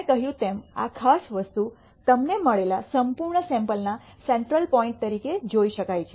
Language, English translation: Gujarati, This particular thing as I said can be viewed as a central point of the entire sample that you have got